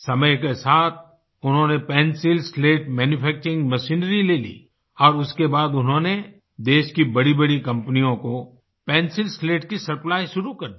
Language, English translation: Hindi, With the passage of time, he bought pencil slat manufacturing machinery and started the supply of pencil slats to some of the biggest companies of the country